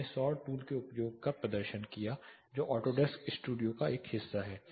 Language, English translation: Hindi, I demonstrated the use of solar tool which is a part of Autodesk Studio